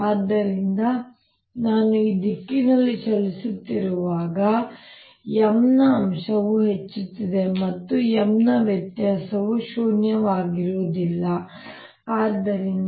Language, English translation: Kannada, so, as i am moving in the direction this way, that component of m is increasing and divergence of m is not zero